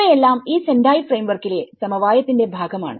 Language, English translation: Malayalam, So, these are all part of the consensus of this Sendai Framework